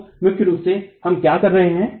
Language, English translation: Hindi, So that's primarily what we would be doing